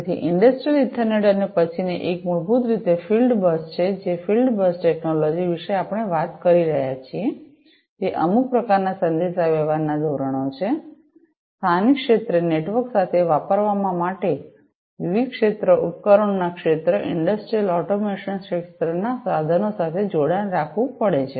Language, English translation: Gujarati, So, Industrial Ethernet and the next one is basically the field bus, in the field bus technology we are talking about, some kind of having some kind of a communication standard, for use with local area networks, having connectivity with the different field devices field instruments in the industrial automation sector